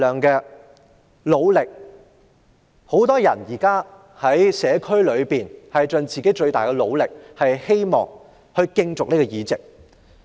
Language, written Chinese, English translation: Cantonese, 現在很多人都在社區盡自己最大的努力競逐議席。, Many candidates are now going all out in the community to run for DC seats but not for their own benefit